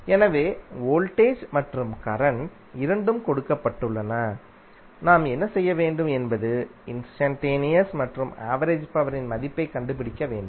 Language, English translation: Tamil, So voltage v and current both are given what we have to do we have to find out the value of instantaneous as well as average power